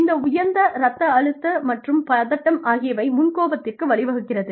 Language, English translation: Tamil, And, this elevated blood pressure and anxiety, leads to short temperedness